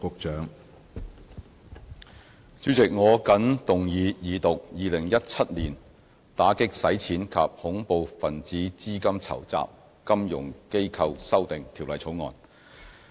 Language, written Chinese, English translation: Cantonese, 主席，我謹動議二讀《2017年打擊洗錢及恐怖分子資金籌集條例草案》。, President I move the Second Reading of the Anti - Money Laundering and Counter - Terrorist Financing Amendment Bill 2017 the Bill